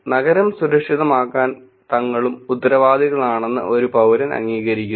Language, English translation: Malayalam, A citizen accepts that they are also accountable to make the city safe